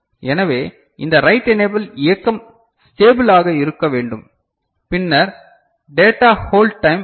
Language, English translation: Tamil, So, this write enable needs to remain stable and then comes data hold time